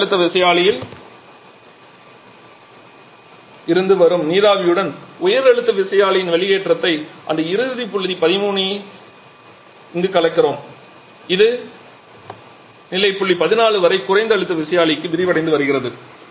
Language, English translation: Tamil, Then we are mixing the exhaust of the high pressure turbine with the steam coming from the low pressure turbine to reach this final point 13 here which is getting expanded to the low pressure turbine till state point 14